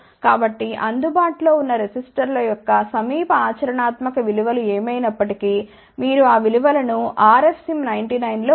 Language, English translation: Telugu, So, whatever the nearest practical values of resistors available you put those values in the R f same 99